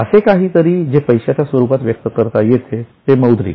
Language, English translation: Marathi, Something which can be expressed in money terms is monetary